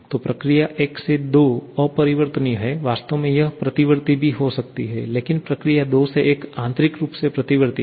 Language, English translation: Hindi, So, process 1 to 2 is irreversible, in fact that can be reversible as well but process 2 to 1 is internally reversible